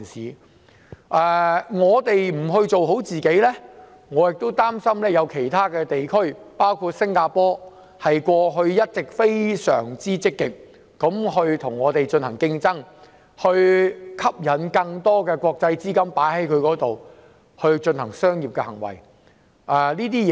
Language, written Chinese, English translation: Cantonese, 如果我們不做好自己，我擔心會落後於其他地區，包括一直非常積極與香港競爭，吸引國際資金進行商業投資的新加坡。, If we do not do our part well I am worried that we will lag behind other regions including Singapore which has been very proactive in competing with Hong Kong for international capital inflow as commercial investment . We must forge ahead or we will lag behind others . If we do not do it others will rush to do it